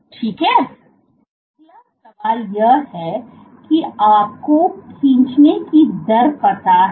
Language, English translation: Hindi, The next question is you know the rate of pulling